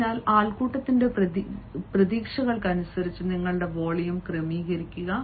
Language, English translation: Malayalam, so adjust your volume according to the expectations of the crowd